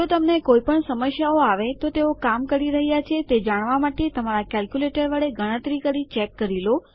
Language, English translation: Gujarati, If you come across any problems, always verify your calculations with a calculator to make sure theyre working